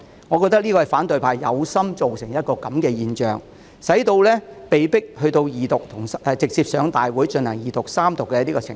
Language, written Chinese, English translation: Cantonese, 我認為這是反對派有心造成的情況，使《條例草案》被迫直接提交大會進行二讀和三讀的程序。, I think these scenarios were created by the opposition camp deliberately so that the Bill cannot but be submitted to the Council direct for Second and Third Readings